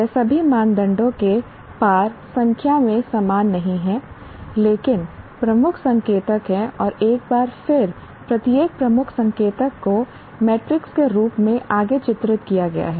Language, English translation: Hindi, They are not equal in number across all criteria, but there are key indicators and once again each key indicator is further delineated as metrics